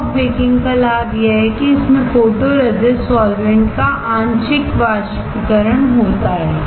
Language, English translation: Hindi, The advantage of soft baking is that there is a partial evaporation of photoresist solvent